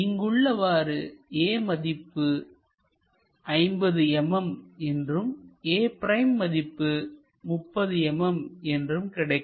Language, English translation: Tamil, So, that this dimension becomes 50 mm and this dimension becomes 30 mm